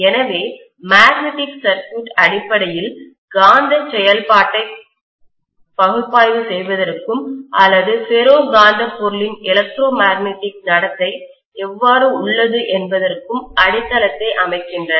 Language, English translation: Tamil, So magnetic circuits essentially lays the foundation for analyzing the magnetic functioning or how electromagnetic behavior of the ferromagnetic material is